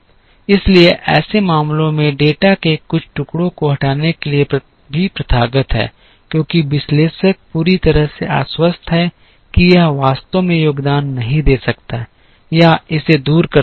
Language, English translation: Hindi, So, in such cases it is also a customary to remove certain pieces of data, after the analyst is fully convinced that this may not actually contribute or it might take away